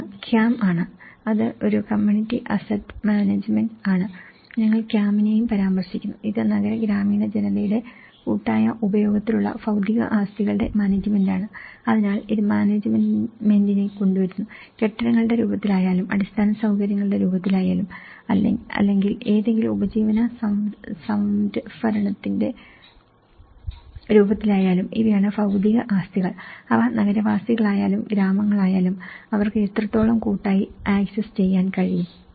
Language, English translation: Malayalam, One is CAM, which is a community asset management and we also refers CAM, it is the management of physical assets in collective use by urban or rural populations so, this brings the management so, these are the physical assets whether it is in the form of buildings or in a form of infrastructure or in the form of any livelihood stock so, how collectively they are able to access, whether it is an urban or rural population